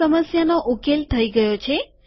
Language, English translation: Gujarati, This problem is solved